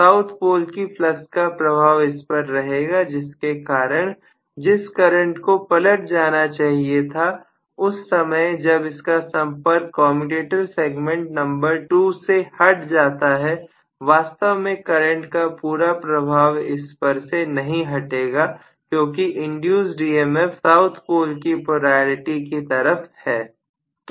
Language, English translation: Hindi, It is going to be under the influence of the south poles flux itself because of which although the current should have reversed completely the movement it has left contact with commutator segment number 2, the current is not going to leave its effect because the induced EMF is oriented towards south poles polarity